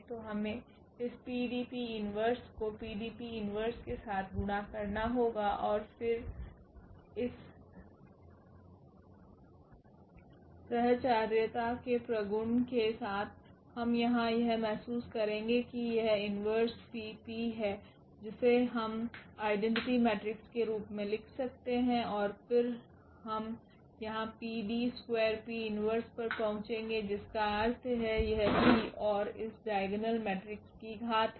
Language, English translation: Hindi, So, we need to multiply this PDP inverse with the PDP inverse and then with this associativity property of this product we will realize here that this P inverse, P is there which we can put as the identity matrix and then we will get here P D and D P inverse meaning this P and the power of this diagonal matrix